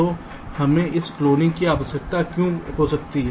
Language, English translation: Hindi, so why we may need this cloning